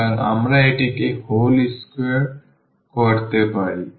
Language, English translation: Bengali, So, this we can make it whole square so, a by 2 whole square